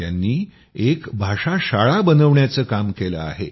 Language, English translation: Marathi, He has undertaken the task of setting up a language school